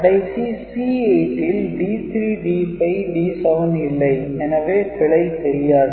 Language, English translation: Tamil, And C 8 does not have D 5 or D 7,so it will not detected anything